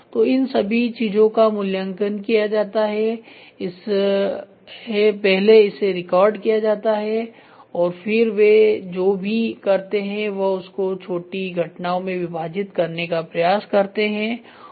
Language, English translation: Hindi, So, all these things are evaluated first it is recorded and then what they do they try to split up into small events